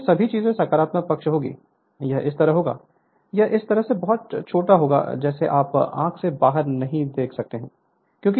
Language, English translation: Hindi, So, this all the things will be positive side, it will be like this, it will be like this, it will be like this very small you cannot make out from your eye just looking into this